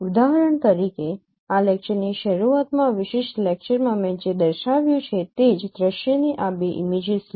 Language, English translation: Gujarati, For example, take this again these two images of the same view which I have shown in this particular lecture in the beginning of this lecture